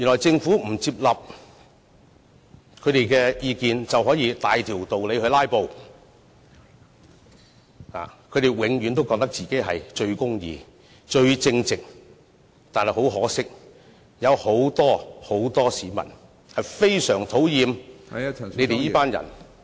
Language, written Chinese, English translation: Cantonese, 政府如果不接納他們的意見，他們就可以大條道理"拉布"，他們永遠都覺得自己最公義、最正直，但很可惜，有很多市民非常討厭他們這群人......, If the Government refuses to accept their advice they have abundant reasons to engage in filibustering . They always consider themselves to the most just and upright but regrettably many people bitterly resent them